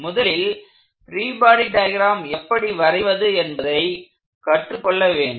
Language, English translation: Tamil, The first thing to do is to make sure we learn how to draw free body diagrams